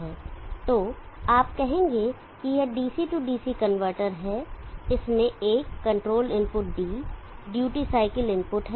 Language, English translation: Hindi, So you say this is the DC DC converter it has a control input D the duty cycle input,